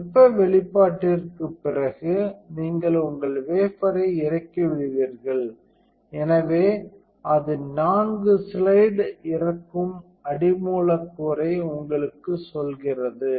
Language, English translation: Tamil, So, after thermal exposure you would unload your wafer, so it tells you four slide unload substrate